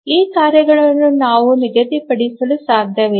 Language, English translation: Kannada, We cannot schedule this task set